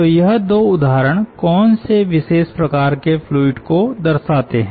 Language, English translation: Hindi, so what special cases or special types of fluids these two represent